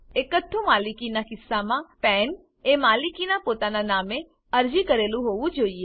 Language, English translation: Gujarati, In case of sole proprietorship, the PAN should be applied for in the proprietors own name